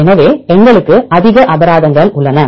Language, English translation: Tamil, So, we have more penalties